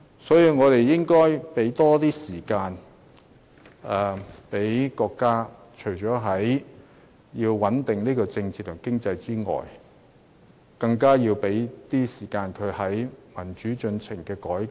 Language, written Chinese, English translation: Cantonese, 所以，我們應該要給國家更多時間，除了穩定政治和經濟外，更要給國家更多時間在民主進程上進行改革。, Hence we should give the country more time to stabilize the political and economic situation and more time to introduce democratic reform